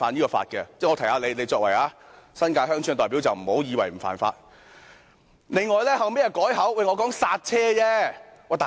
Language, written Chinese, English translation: Cantonese, 我提醒他，他作為新界鄉村的代表，不要以為這是不犯法的。, I want to remind him that as a representative of villages in the New Territories he should not consider it not an offence to kill dogs